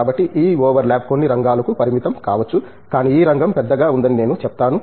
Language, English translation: Telugu, So, this over lap may be restricted to some areas, but I would say that this area by itself is large